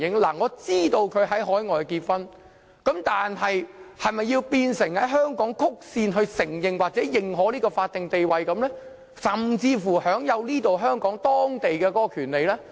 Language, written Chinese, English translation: Cantonese, 我知道他們已在海外結婚，但是否便要在香港曲線承認或認可這種法定地位，甚至讓他們享有香港本地的權利呢？, We know that they got married overseas but should they be given a statutory status recognized or endorsed in Hong Kong indirectly or even entitlement to the rights available here in Hong Kong on such grounds?